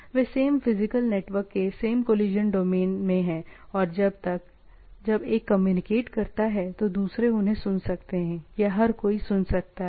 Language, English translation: Hindi, They can they are in the same collision domain in the same physical network and or they one communicating others can listen, or everybody can listen